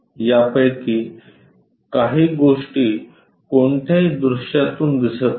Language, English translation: Marathi, Some of the things not at all visible from any of these views